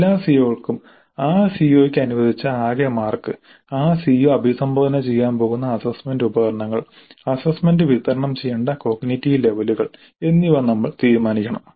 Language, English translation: Malayalam, For all CEOs we must decide the marks, total marks allocated to that COO, the assessment instruments in which that CO is going to be addressed and the cognitive levels over which the assessment is to be distributed